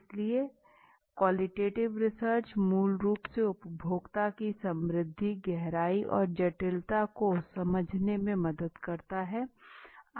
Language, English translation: Hindi, So qualitative research basically helps to understand the richness depth and complexity of the consumers